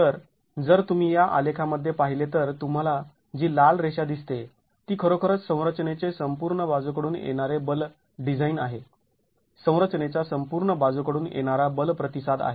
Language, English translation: Marathi, So if you were to look at in this graph, the red line that you see is really the, it's really the overall lateral force design of the structure, overall lateral force response of the structure